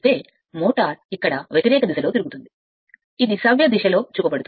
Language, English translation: Telugu, So, machine will rotate in the opposite direction here, it is shown the in the clockwise direction